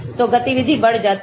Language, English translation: Hindi, So, activity increases